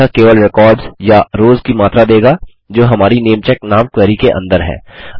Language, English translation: Hindi, It just returns the amount of records or rows that are contained within your query which is called namecheck